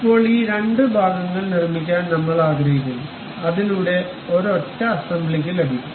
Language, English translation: Malayalam, Now, we would like to really make these two parts, so that one single assembly one can really get